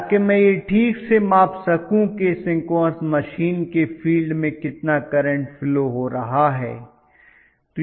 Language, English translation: Hindi, So that I am able to exactly measure how much is the field current that is flowing through the field of the synchronous machine